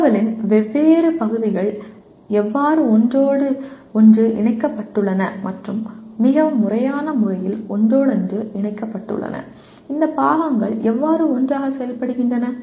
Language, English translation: Tamil, How the different parts or bits of information are interconnected and interrelated in a more systematic manner, how these parts function together